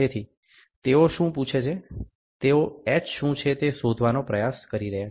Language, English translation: Gujarati, So, what are they asking, they are trying to find out what is h